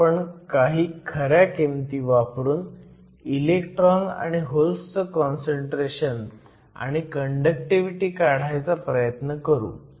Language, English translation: Marathi, Let us actually put in some values now and try to calculate the electron and hole concentration and the conductivity